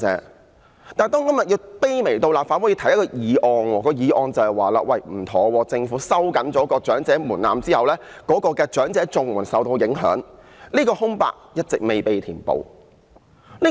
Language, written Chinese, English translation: Cantonese, 可是，立法會今天竟要卑微地提出一項議案，指出政府收緊長者門檻後，長者綜援受到影響的問題。, Regrettably today in the Legislative Council we have to propose a humble motion stating the impact on elderly CSSA after the age threshold is tightened by the Government